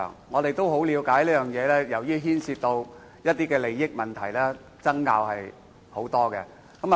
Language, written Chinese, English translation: Cantonese, 我也了解到，由於此課題牽涉一些利益問題，爭拗甚多。, I also learn that as the issue has a bearing on the interests of various sides there are great controversies